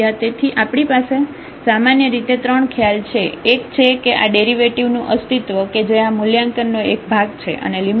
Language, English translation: Gujarati, So, we have basically the three concept one was the existence of this derivative which is evaluated by this quotient and taking the limit